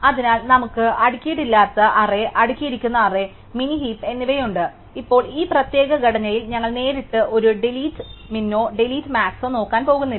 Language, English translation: Malayalam, So, we have unsorted array, sorted arrays and min heaps, now in this particular structure we are not going to look at directly a delete min or a delete max